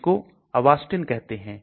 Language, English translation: Hindi, This is called Avastin